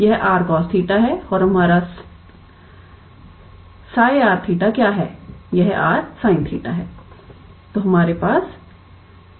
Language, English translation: Hindi, Its r cos theta and what is our psi r theta